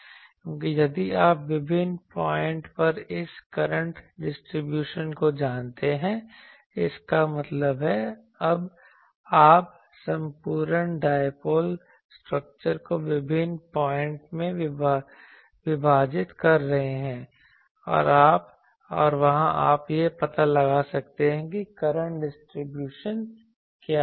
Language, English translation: Hindi, Because, if you know this current distribution at various points; that means, you are dividing the whole dipole structure in various points and there you can find out what is the current distribution